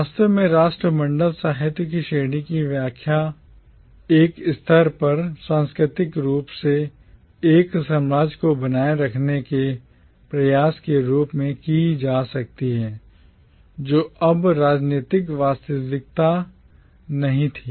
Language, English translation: Hindi, Indeed the category of Commonwealth literature can be interpreted at one level as an attempt to culturally keep together an empire which was no longer a political reality